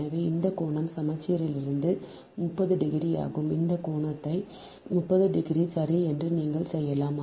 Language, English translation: Tamil, so this angle is thirty degree from the symmetry you can make it, this angle is thirty degree right